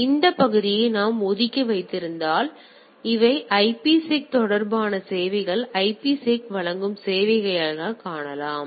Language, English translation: Tamil, But if we even keep this part aloof; so we can see these are the IPSec related services which are provided by the IPSec right